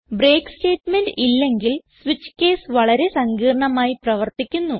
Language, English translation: Malayalam, without the break statement, the switch case functions in a complex fashion